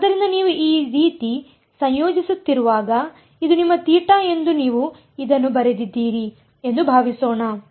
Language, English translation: Kannada, So, supposing you wrote this like this that this is your theta when you are integrating like this